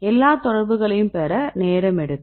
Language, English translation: Tamil, So, it takes time to get all the contacts